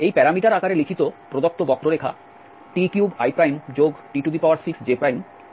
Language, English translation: Bengali, The given curve written in this parameter form t cube i plus t 6 j is a parabola